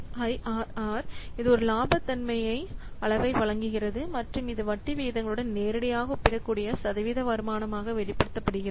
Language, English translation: Tamil, IRR, it provides a profitability measure and it expressed as a percentage return that is directly comparable with interest rates